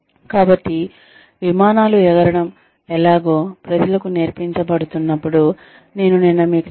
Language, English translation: Telugu, So, it is like, I told you yesterday, that in order to when people are being taught, how to fly planes